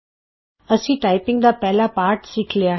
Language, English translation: Punjabi, We have learnt our first typing lesson